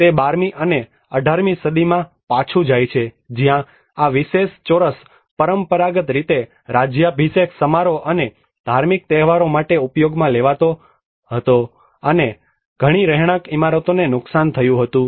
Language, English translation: Gujarati, It goes back to the 12th and 18th centuries where this particular square was traditionally used for the coronation ceremonies and the religious festivals and many of the residential buildings got damaged